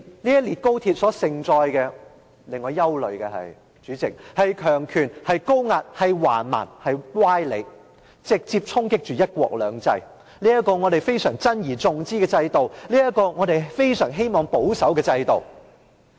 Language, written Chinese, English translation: Cantonese, 這列高鐵所盛載的，並且令我憂慮的，是強權、高壓、橫蠻及歪理，直接衝擊着"一國兩制"，這個我們珍而重之的制度、這個我們非常希望保守的制度。, I am worried that XRL will bring with it authoritarianism high - handedness arbitration and sophistry things that will deal a direct blow to one country two systems the system that we cherish so much and are so anxious to uphold and safeguard